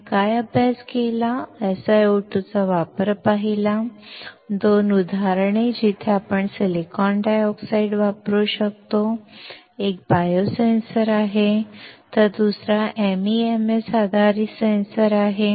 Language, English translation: Marathi, What we have studied: seen the application of SiO2, 2 examples where we can use the silicon dioxide; one is a biosensor, while another one is MEMS based sensor